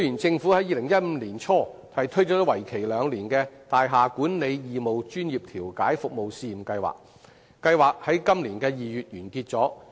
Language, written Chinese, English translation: Cantonese, 政府於2015年年初推出為期兩年的大廈管理義務專業調解服務試驗計劃，並於今年2月完結。, In the beginning of 2015 the Government launched the two - year Free Mediation Service Pilot Scheme for Building Management which ended in February this year